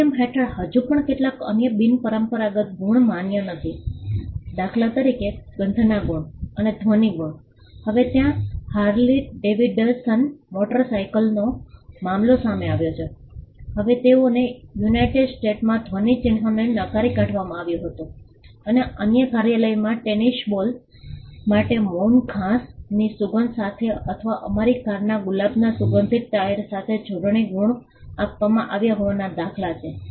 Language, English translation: Gujarati, Certain other unconventional marks are still not recognized under the act; for instance, smell marks and sound marks, now there was a case involving Harley Davidson motorcycles; now they were denied a sound mark in the United States and there is instances of spell marks being granted in other jurisdictions for tennis ball with a scent of mown grass or with a rose scented tyre of our cars